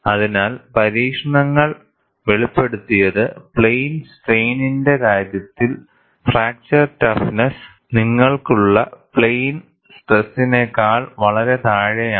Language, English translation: Malayalam, So, the experiments revealed, the fracture toughness in the case of plane strain is far below what you have in plane stress